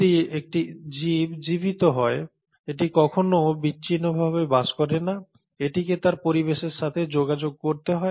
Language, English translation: Bengali, Now if an organism is living, itÕs never living in isolation, it has to communicate with its environment